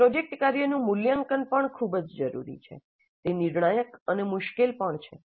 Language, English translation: Gujarati, Now the assessment of project workup is also very essential and crucial and difficulty also